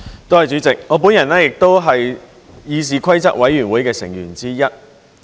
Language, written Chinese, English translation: Cantonese, 代理主席，我本人也是議事規則委員會成員之一。, Deputy President I am also a member of the Committee on Rules of Procedure CRoP